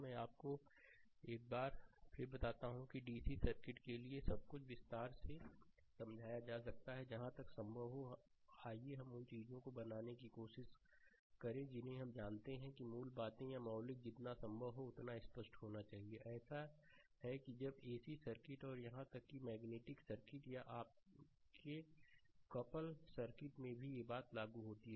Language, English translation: Hindi, Let me tell you once again that for DC circuit, everything is being explained in detail, right, as far as possible, ah ah let us try to make things ah you know fundamentals or fundamental should be as far as possible to clear such that when same thing will apply for ac circuit and even in magnetic circuit or your couple circuit, right